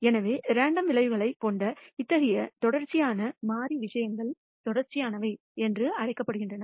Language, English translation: Tamil, So, such continuous variable things which have random outcomes are called continuous